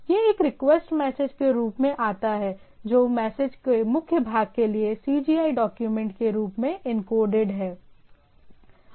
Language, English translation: Hindi, So, it comes as a request message as is as encoded as a CGI document for the body of the message